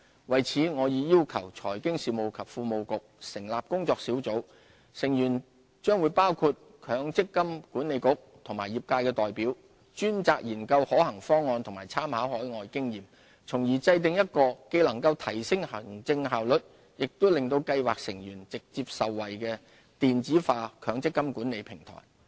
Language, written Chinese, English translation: Cantonese, 為此，我已要求財經事務及庫務局成立工作小組，成員將包括強制性公積金計劃管理局及業界代表，專責研究可行方案及參考海外經驗，從而制訂一個既能提升行政效率，又令計劃成員直接受惠的電子化強制性公積金管理平台。, As such I have asked the Financial Services and the Treasury Bureau to set up a working group members of which include representatives of both the Mandatory Provident Fund Schemes Authority and the industry to explore viable solutions with reference to overseas experiences with a view to devising an electronic MPF management platform which will enhance administrative efficiency and directly benefit scheme members